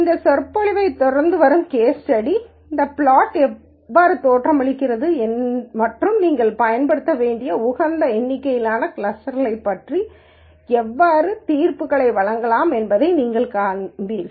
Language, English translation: Tamil, The case study that follows this lecture, you will see how this plot looks and how you can make judgments about the optimal number of clusters that you should use